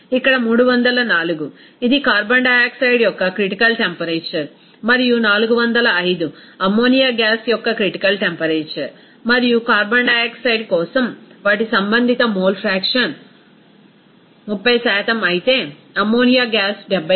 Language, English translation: Telugu, Here 304 is, it is given that critical temperature of the carbon dioxide and 405 is the critical temperature of the ammonia gas and their corresponding mole fraction for carbon dioxide is 30% whereas ammonia gas is 70%